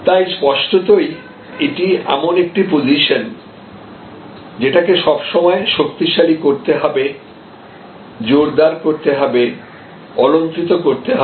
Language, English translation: Bengali, So; obviously, this is a position that must be continuously strengthen continuously retained enhanced embellished and so on